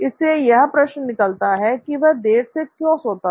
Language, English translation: Hindi, So that begs the question, why was he sleeping late